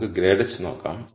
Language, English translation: Malayalam, Let us look at grad of h